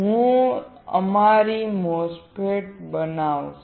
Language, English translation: Gujarati, I will fabricate our MOSFET